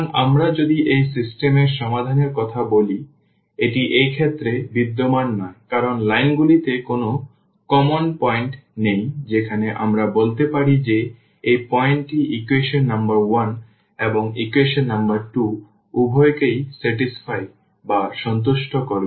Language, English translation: Bengali, So, if we talk about the solution of this system; so, it does not exist in this case because there is no common point on the lines where, we can we can say that this point will satisfy both the equations equation number 1 and equation number 2 because they do not intersect